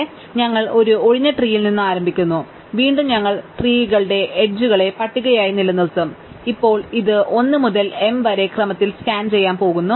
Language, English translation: Malayalam, So, we start with an empty tree, so again we will keep the tree as the list of edges and now we are going to scan this in order, 1 to m